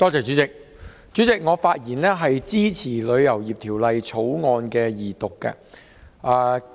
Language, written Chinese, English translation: Cantonese, 主席，我發言支持二讀《旅遊業條例草案》。, President I speak in support of the Second Reading of the Travel Industry Bill the Bill